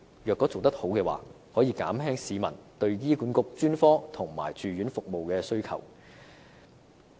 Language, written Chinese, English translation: Cantonese, 如果做得好，便可以減輕市民對醫管局專科及住院服務的需求。, If such work is carried out effectively the public demand for the specialist and hospitalization services of HA can be reduced